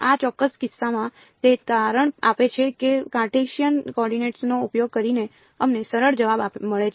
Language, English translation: Gujarati, In this particular case it turns out that using Cartesian coordinates gives us a simpler answer